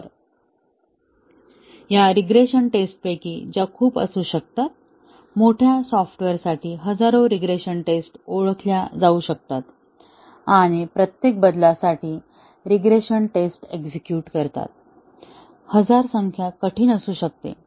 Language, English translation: Marathi, So, out of these regression tests, which may be too many, may be thousands of regression tests for large software can be identified and may be running regression test for each change, thousand numbers may be difficult